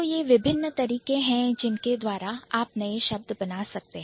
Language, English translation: Hindi, So, these are the different ways by which you can actually create new words